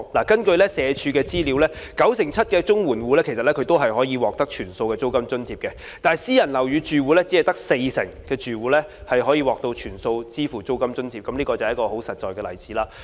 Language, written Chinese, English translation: Cantonese, 根據社會福利署的資料，九成七綜援戶可獲全數租金津貼，但私人樓宇住戶只有四成可獲全數支付租金津貼，這是一個很實在的例子。, According to information of the Social Welfare Department 97 % of the CSSA households in PRH can receive a full rent allowance but only 40 % of those living in private buildings can use the rent allowance to pay the full rent . This is a very practical example